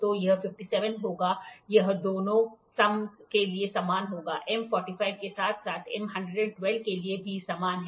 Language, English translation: Hindi, So, it will be 57 this will be same this will be same for both the sums so, same for M 45 as well as M 112